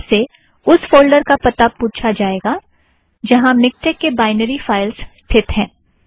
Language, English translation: Hindi, You will be asked to provide folder address where the binary files of Miktex are stored